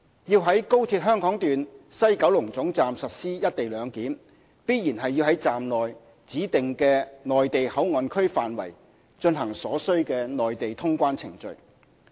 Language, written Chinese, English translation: Cantonese, 要在高鐵香港段西九龍總站實施"一地兩檢"，必然要在站內指定的"內地口岸區"範圍，進行所須的內地通關程序。, To implement the co - location arrangement at WKT of XRL it would be essential to conduct requisite Mainland CIQ procedures in a designated Mainland Port Area therein